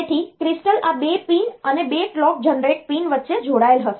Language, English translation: Gujarati, So, crystal will be connected between these 2 pins the clock generator pin